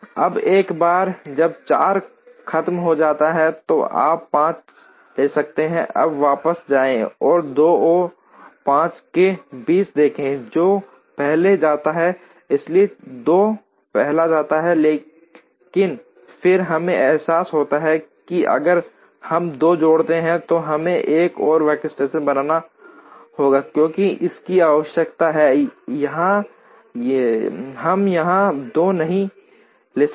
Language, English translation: Hindi, Now, once 4 is over, then you can take 5 into it now go back and see between 2 and 5 which one goes first, so 2 goes first, but then we realize that if we add 2 we have to create another workstation, because this requires or we cannot take 2 here